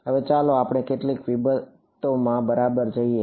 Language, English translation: Gujarati, Now, let us let us get into some of the details ok